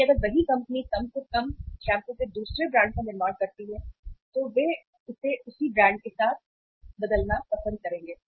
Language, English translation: Hindi, So if the same company manufacturing the other brand of the shampoo at least they will like to replace it with the same brand